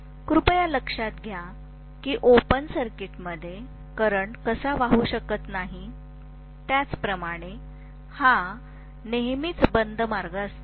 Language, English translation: Marathi, Please note that just like how a current cannot flow in an open circuit; this is also always a closed path